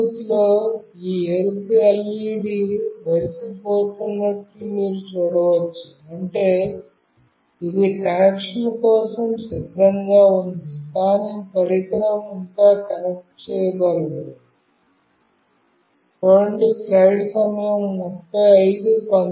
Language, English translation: Telugu, And you can see that in the Bluetooth this red LED is blinking, meaning that it is ready for connection, but the device has not connected yet